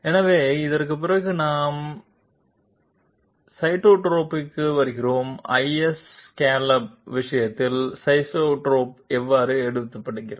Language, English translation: Tamil, So after this we come to sidestep, how is sidestep taken in case of iso scallop